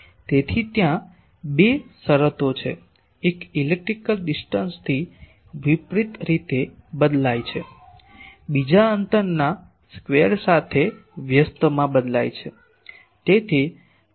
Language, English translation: Gujarati, So, there are two terms one is varying inversely with electrical distance, another is varying inversely with the square of the distance